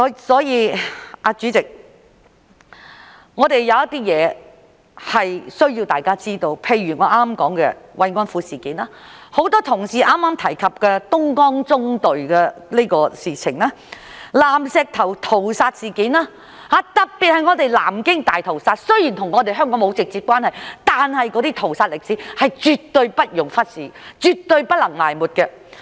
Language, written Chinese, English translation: Cantonese, 所以，主席，有一些事情是需要讓大家知道的，例如我剛才所說的慰安婦事件，很多同事剛才提及的東江縱隊的事情、南石頭屠殺事件，特別是南京大屠殺，雖然與香港沒有直接關係，但是那些屠殺歷史是絕對不容忽視，絕對不能埋沒的。, Hence President there are facts which we should let people know . For example the comfort women incident I mentioned just now the achievements of the Dongjiang Column that many colleagues have just mentioned the Nanshitou Massacre and in particular the Nanjing Massacre . Although these incidents are not directly related to Hong Kong the history of these massacres should never be ignored and should never be buried